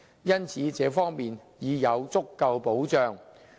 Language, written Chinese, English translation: Cantonese, 因此，這方面已有足夠保障。, Therefore there was sufficient safeguard